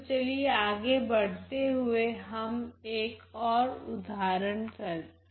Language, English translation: Hindi, So, let us move ahead to another example now